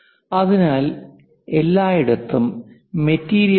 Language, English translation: Malayalam, So, inside everywhere material is there